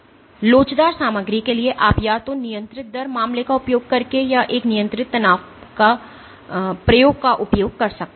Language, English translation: Hindi, So, for elastic material you can do this in using either the controlled rate case or using a control stress experiment